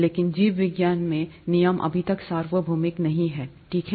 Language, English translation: Hindi, But in biology, the rules are not yet reasonably universal, okay